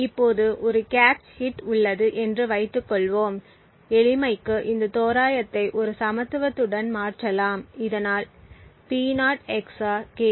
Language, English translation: Tamil, Now let us assume that there is a cache hit and for simplicity lets replace this approximation with an equality thus we have P0 XOR K0 is equal to P4 XOR K4